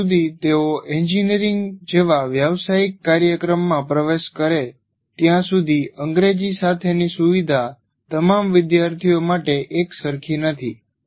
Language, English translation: Gujarati, Whatever you say, by the time they enter a professional program like engineering, the facility with English is not uniform for all students